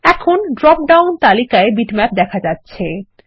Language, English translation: Bengali, The Bitmap now appears in the drop down list